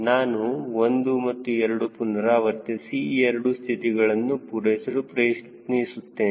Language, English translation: Kannada, i iterate one and two and try to satisfy these two conditions